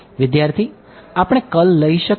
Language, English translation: Gujarati, Can we take the curl